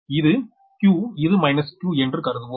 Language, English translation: Tamil, if it is q, then here it will be minus q